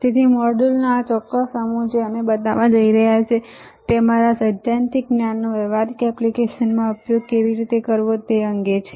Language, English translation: Gujarati, So, this particular set of modules that we are going to show to you are regarding how to use your theoretical knowledge in practical applications